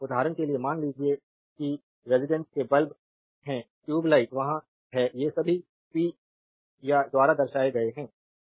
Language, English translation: Hindi, For example, suppose at your residence the bulb is there tube light is there these are all represented by power